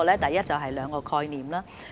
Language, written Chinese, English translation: Cantonese, 第一，這是兩個概念。, First of all there are two concepts here